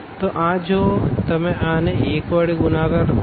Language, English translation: Gujarati, So, this if you multiply u to this 1